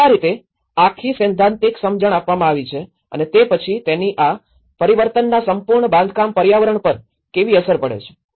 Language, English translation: Gujarati, So, this is how the whole theoretical understanding has been done and then again how this whole transformation has an impact on the built environment